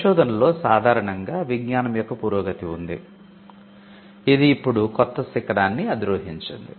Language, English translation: Telugu, In research normally there is an advancement of knowledge, which now peaks a new mark or a new peak